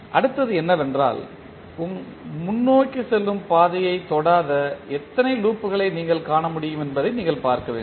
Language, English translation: Tamil, Next is that we have to see how many loops which you can find which are not touching the forward path